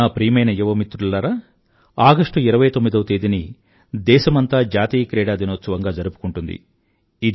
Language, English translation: Telugu, My dear young friends, the country celebrates National Sports Day on the 29th of August